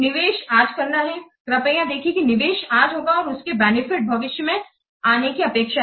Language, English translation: Hindi, Please see the investment will make today whereas the benefits are expected to come in the future